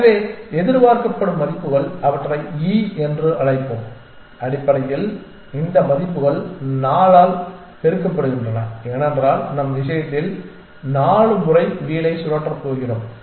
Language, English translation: Tamil, So, the expected values let us call them e are basically these values multiplied by 4, because we are going to spin the wheel 4 times in our case